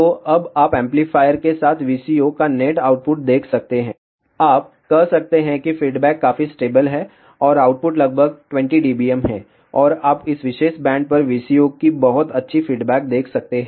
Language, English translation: Hindi, So, now you can see the net output of VCO with amplifier you can say that the response is fairly stable and output is about 20 dBm and you can see very nice response of the VCO over this particular band